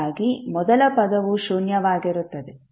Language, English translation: Kannada, So final value will always be zero